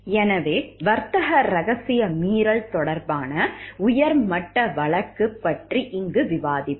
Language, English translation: Tamil, So, we will discuss here about a high profile case of trade secret violation